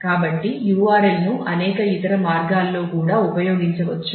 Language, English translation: Telugu, So, URL can be used in a multiple other ways also